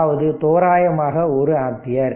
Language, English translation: Tamil, So, it is approximately 6 ampere